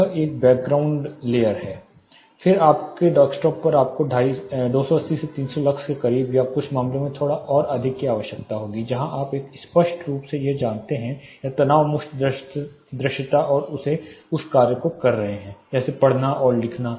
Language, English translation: Hindi, This is a background layer then on your desktop you will need somewhere close to 280 to 300 lux or slightly more in some cases where for a clear you know or a strain free visibility and doing of the task that you are doing reading and writing task